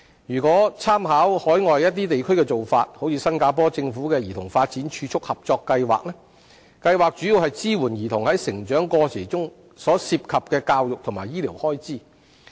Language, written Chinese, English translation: Cantonese, 如果參考海外一些地區的做法如新加坡政府的兒童發展儲蓄合作計劃，計劃主要支援兒童在成長過程中所涉及的教育及醫療開支。, If we make reference to the practices adopted by some overseas places such as the Child Development Co - Savings Scheme launched by the Singaporean Government we should know that it mainly supports children in coping with the education and medical expenses arising from their upbringing